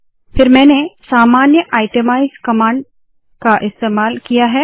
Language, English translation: Hindi, Then I use the normal itemize command